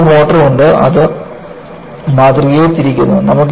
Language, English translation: Malayalam, And, you have a motor, which is rotating the specimen